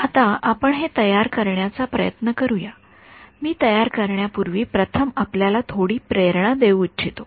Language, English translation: Marathi, Now, we will when we try to formulate this let us first before I formulated I want to give you a little bit of motivation ok